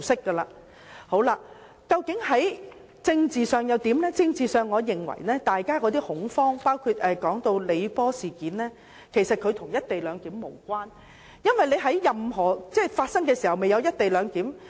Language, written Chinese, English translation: Cantonese, 在政治方面，我認為大家的恐慌及李波事件其實與"一地兩檢"無關，因為當事件發生時根本未有"一地兩檢"。, Politically I think the panic among people and the incident of Mr LEE Po actually have nothing to do with the co - location arrangement because when the incident took place the co - location arrangement had actually not been proposed